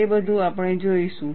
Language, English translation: Gujarati, All that, we will see